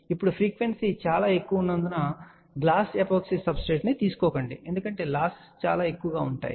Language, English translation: Telugu, Now, since the frequency is very high please do not take a glass epoxy substrate because losses will be very high